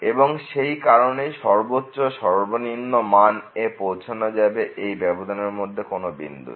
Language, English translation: Bengali, And therefore, a maximum and minimum will be reached in this interval at some point